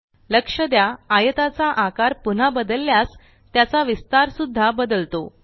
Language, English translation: Marathi, Note that when we re size the rectangle again, the dimensions change